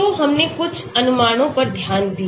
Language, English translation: Hindi, So, we looked at some approximations